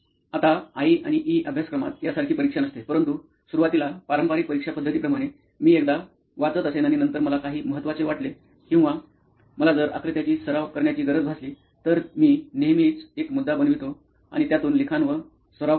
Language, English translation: Marathi, Now in I&E course, there are no exam as such, but initially like the conventional exam mode, I would usually read once and then if I feel something important or if I need to practice any diagrams, I always had a, made it a point to like write and practice